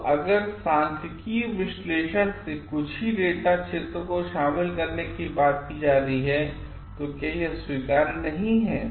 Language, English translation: Hindi, So, if from the statistical analysis only this field work are going to come, then what is not acceptable